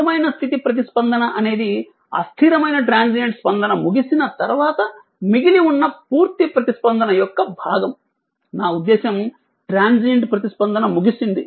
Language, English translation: Telugu, The steady state response is the portion of the complete response that remains after the transient response has died out, I mean transient is over right